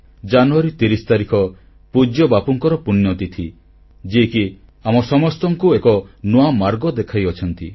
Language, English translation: Odia, The 30 th of January is the death anniversary of our revered Bapu, who showed us a new path